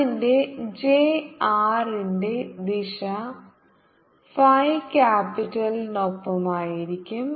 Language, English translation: Malayalam, so the r direction, j r would be along the phi capitalism